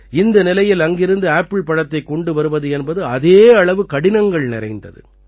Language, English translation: Tamil, In such a situation, the transportation of apples from there is equally difficult